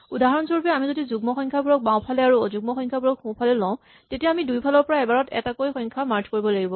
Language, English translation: Assamese, For instance, if we had say even numbers in the left and the odd numbers on the right then we have to merge by taking numbers alternatively from either side